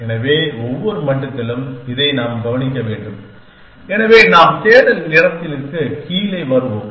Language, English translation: Tamil, So, at every level we have to notes this, so we will came going down the search